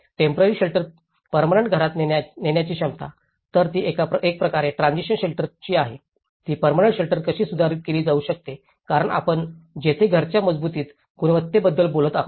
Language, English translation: Marathi, Ability to upgrade temporary shelters into permanent houses, so one is from a kind of transition shelter, how it could be upgraded to a permanent shelter because that is where we talk about the robust quality of the house